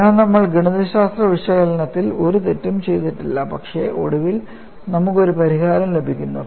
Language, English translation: Malayalam, So, we have not done any mistake in the mathematical analysis, but finally, we are getting a solution